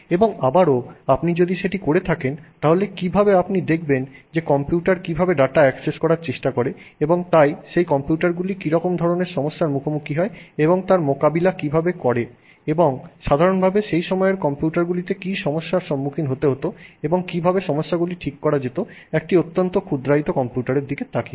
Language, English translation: Bengali, And also if you did that, how you would know perhaps look at computers trying to access that data and therefore what issues those computers would face and what issues computers in general at that point in time we're facing and how those issues could potentially be overcome by looking at extremely miniaturized computers